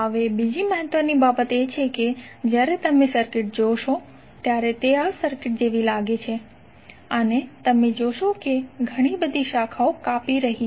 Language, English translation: Gujarati, Now, another important thing is that sometimes when you see the circuit it looks like this circuit right and you will see that lot of branches are cutting across